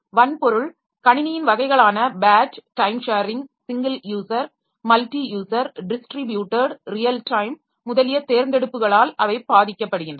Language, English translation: Tamil, They are affected by the choice of hardware type of system batch, time sharing, single user, multi user, distributed real time, etc